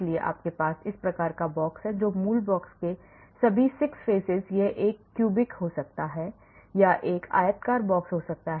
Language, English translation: Hindi, so you have this type of box and all the 6 faces of the original box it could be a cubic or it could be a rectangular box